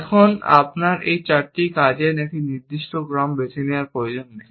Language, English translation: Bengali, Now it is not necessary that you choose a particular sequence of these four actions